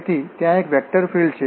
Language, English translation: Gujarati, So, what is a conservative vector field